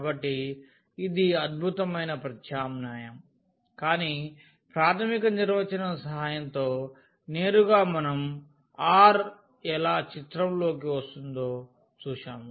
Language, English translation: Telugu, So, this was awesome substitution, but directly with the help of the basic the fundamental definition we have seen that how this r is coming to the picture